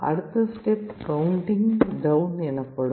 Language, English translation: Tamil, So, the next step it will be counting down